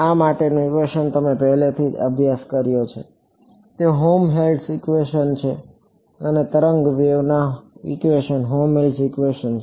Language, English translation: Gujarati, The equation for this you have already studied, it is the Helmholtz equation right a wave equation is the Helmholtz equation